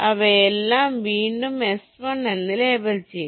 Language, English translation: Malayalam, they will all be labeled again as s one